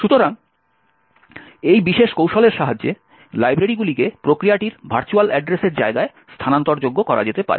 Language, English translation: Bengali, So, with this particular technique, libraries can be made relocatable in the virtual address space of the process